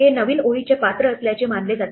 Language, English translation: Marathi, This is supposed to be the new line character